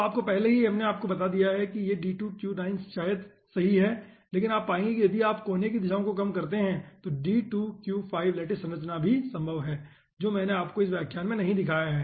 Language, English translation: Hindi, but you will be finding out that if you reduce the corner directions, then d2q5 lattice structure is also possible, which i have not shown you in this lecture